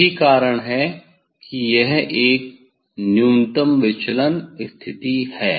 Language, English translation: Hindi, that is why it is a minimum deviation position